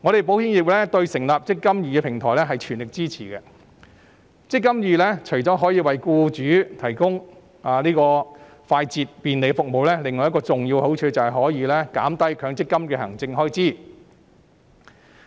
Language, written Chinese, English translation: Cantonese, 保險業對成立"積金易"平台表示全力支持。"積金易"除了為僱主提供快捷及便利的服務，另一個重要的好處是減低強積金的行政開支。, The insurance sector strongly supports the setting up of the eMPF Platform which will not only provide employers with efficient and convenient services but will also lower the administration expenses for MPF